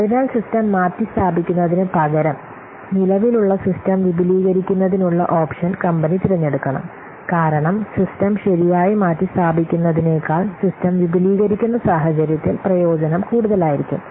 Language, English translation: Malayalam, So, the company should choose the option of extending the existing system rather than replacing the system because the benefit will be more in case of extending system rather than replacing the system